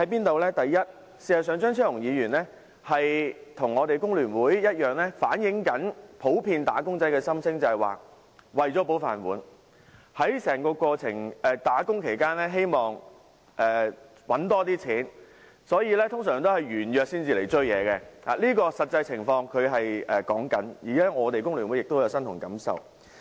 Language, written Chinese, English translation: Cantonese, 第一，張超雄議員與工聯會一樣，也在反映普遍"打工仔"的心聲，就是為了"保飯碗"，希望在工作期間賺取更多金錢，所以通常會在約滿後才追究，他說的是實際情況，而工聯會亦感同身受。, Firstly same as the Hong Kong Federation of Trade Unions FTU Dr Fernando CHEUNG is speaking up for the general wage earners who would usually pursue the matter upon expiry of their contracts as they want to keep their job and earn more money from work . What he said is true and FTU shares the same view